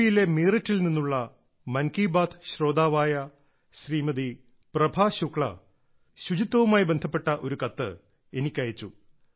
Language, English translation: Malayalam, a listener of 'Mann Ki Baat', Shrimati Prabha Shukla from Meerut in UP has sent me a letter related to cleanliness